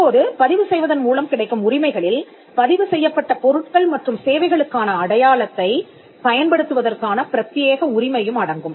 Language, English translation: Tamil, Now the rights conferred by registration include exclusive right to use the mark for registered goods and services